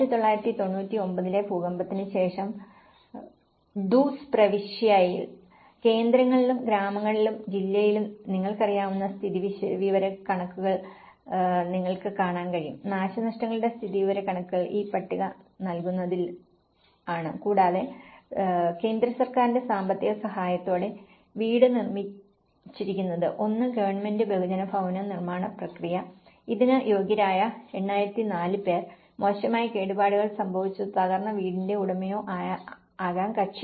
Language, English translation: Malayalam, In Duzce province after the 1999 earthquake, you can see that in the centres and villages and the district we have the statistical you know, the damage statistics is in providing this table and the house is constructed through the central government financial support, one is the government mass housing process which is about 8004 who is qualified for this; owner of badly damaged or a collapsed house